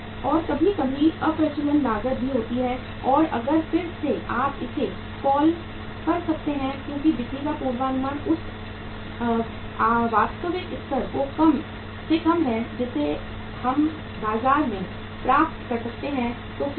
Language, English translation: Hindi, And sometime the obsolescence cost also and if there is a again you can call it as the forecasting of the sale is lesser than the say actual level which we can attain in the market so what will happen